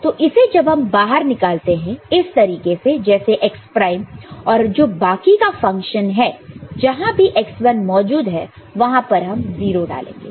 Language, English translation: Hindi, So, this variable when you take it out like this x1 prime and rest of the function wherever x1 is present, you put 0 ok